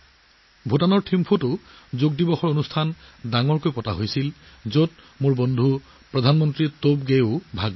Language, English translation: Assamese, A grand Yoga Day program was also organized in Thimpu, Bhutan, in which my friend Prime Minister Tobgay also participated